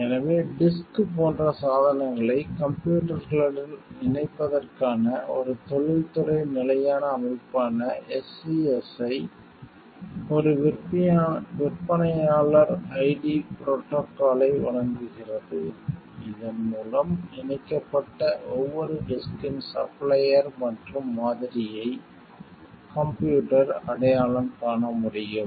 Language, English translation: Tamil, So, SCSI an industry standard system for connecting devices like disks to computers provides a vendor ID protocol by which the computer can identify the supplier and model of every attached disk